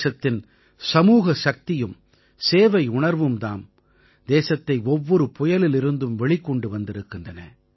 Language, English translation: Tamil, Her collective strength and our spirit of service has always rescued the country from the midst of every storm